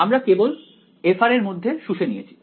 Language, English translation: Bengali, So, we just absorbed it into f of r